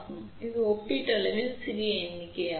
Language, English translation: Tamil, So, you can see it is a relatively small number